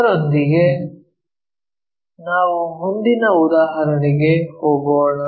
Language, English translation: Kannada, With that, let us move on to the next example